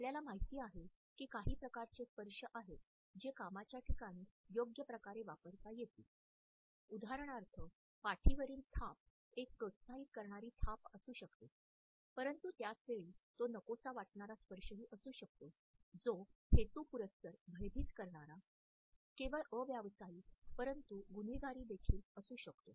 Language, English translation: Marathi, We know that there are certain types of touches which can be used appropriately in the workplace, for example, an encouraging pat on the back a handshake but at the same time there may be an unwanted touch or a touch which is deliberately intimidating which is not only unprofessional, but can also be criminal